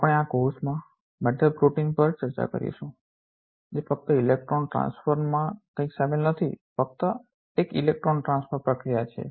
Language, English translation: Gujarati, We will also discuss in this course metal proteins which are involved in just the electron transfer nothing else, just one electron transfer processes